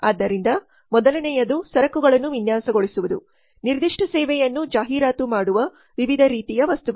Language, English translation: Kannada, So first one has to design the merchandise, different types of items which can advertise the particular service